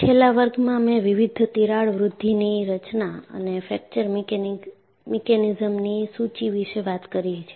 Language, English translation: Gujarati, In the last class, I have listed various crack growth mechanisms and also fracture mechanisms